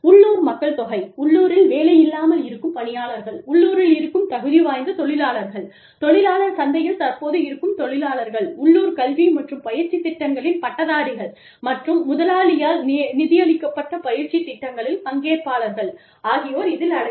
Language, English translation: Tamil, That include, local population, local employed workers, labor force, qualified workers, qualified workers in the labor market, current employees, graduates of local education and training programs, and participants in training programs, sponsored by the employer